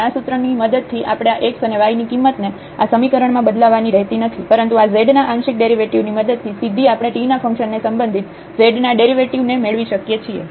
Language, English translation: Gujarati, And, with this formula we do not have to substitute the values of these x and y into the function, but directly with the help of the partial derivatives of this z we can get the derivative of z directly with respect to the function t